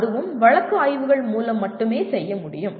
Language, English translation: Tamil, That also can be only done as through case studies